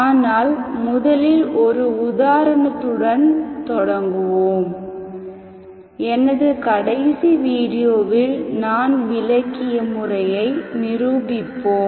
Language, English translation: Tamil, We will start with giving an example to demonstrate the method explained in my last video